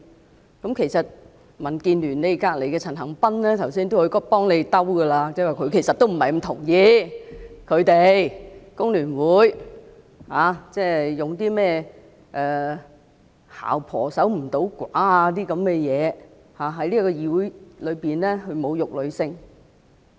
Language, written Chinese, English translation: Cantonese, 坐在你們旁邊的民建聯陳恒鑌議員剛才也嘗試替你們解圍，說他不太同意工聯會議員用"姣婆守唔到寡"一語在議會內侮辱女性。, Mr CHAN Han - pan of the Democratic Alliance for the Betterment and Progress of Hong Kong DAB who is sitting beside you people tried to save you people from embarrassment just now saying that he did not quite agree with the remark made by an FTU Member that a promiscuous woman cannot remain a widow to insult women in this Chamber